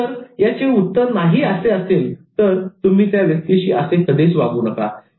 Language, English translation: Marathi, If the answer is no, you should not do this at all to that person